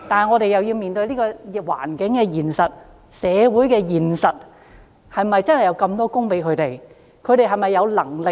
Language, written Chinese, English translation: Cantonese, 我們要面對社會環境的現實，是否真的有這麼多工作讓他們選擇呢？, We have to look at the actual circumstances in society . Are there really so many jobs for them to choose?